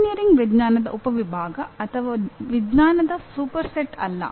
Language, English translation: Kannada, Now, engineering is not a subset of science nor a superset of science